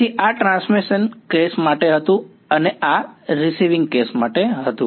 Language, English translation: Gujarati, So, this was for the transmission case and this is for the receiving case